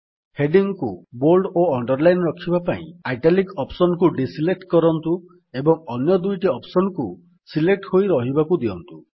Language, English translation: Odia, In order to keep the heading bold and underlined, deselect the italic option by clicking on it again and keep the other two options selected